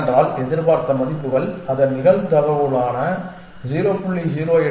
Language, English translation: Tamil, Why because expected values its probabilities only 0